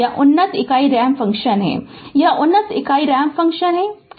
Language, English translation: Hindi, This is you call that advanced unit ramp function, this is advanced unit ramp function, right